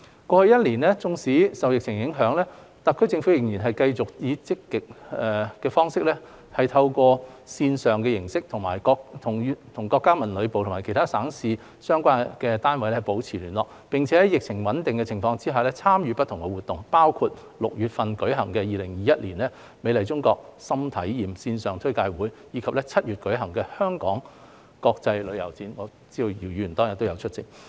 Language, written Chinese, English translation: Cantonese, 過去一年多，縱使受疫情影響，特區政府仍然繼續積極以線上形式與國家文旅部及其他省市的相關單位保持聯繫，並在疫情穩定的情況下參與不同活動，包括於6月舉行的 2021" 美麗中國.心睇驗"線上推介會，以及於7月舉行的香港國際旅遊展等，我知道姚議員當天也有出席。, In the past year or so despite the impact of the epidemic the SAR Government has been proactively communicating with MoCT and the relevant units in other provinces and municipalities through virtual means and participating in various activities including the promotional webinar on Beautiful China 2021 held in June and the Hong Kong International Travel Expo held in July when the epidemic situation stabilized . I know that Mr YIU was present on that day